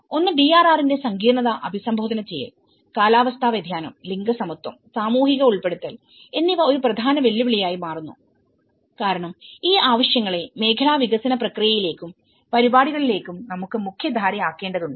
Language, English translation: Malayalam, One is addressing the complexity of the DRR, the climate change and the gender equality and social inclusion that becomes one of the important challenge because we need to mainstream these needs into the sectoral development process and programs